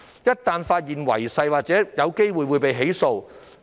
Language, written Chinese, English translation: Cantonese, 一旦區議員違反誓言，便有機會被起訴。, DC members who breach the oath may be prosecuted